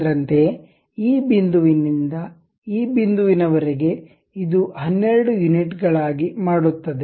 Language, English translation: Kannada, Similarly, this point to this point also make it 12 units